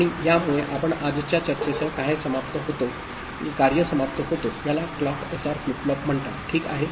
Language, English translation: Marathi, And this gives rise to what we end with today’s discussion is called clocked SR flip flop, ok